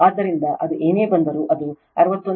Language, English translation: Kannada, So, whatever it comes it is 61